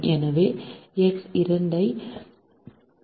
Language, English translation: Tamil, so x two is equal to seven